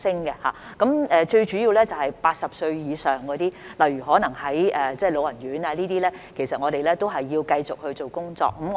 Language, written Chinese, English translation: Cantonese, 現時最主要的一群是80歲以上，例如可能居住於老人院的長者，我們也要繼續做工作。, At present the most significant group of people that we are working on are the elderly over 80 years old such as those who may be living in elderly homes and we need to continue to put in more efforts